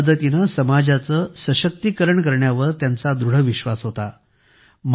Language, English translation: Marathi, She had deep faith in the empowerment of society through education